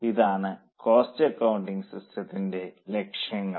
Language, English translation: Malayalam, So, these are the objectives of cost accounting system